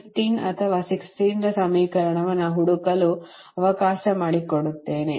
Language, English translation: Kannada, let me search equation fifteen or sixteen